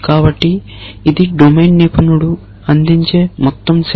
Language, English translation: Telugu, So, this is a whole set which the domain expert provides